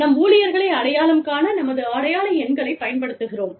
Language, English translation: Tamil, I mean, we use identification numbers, to identify our employees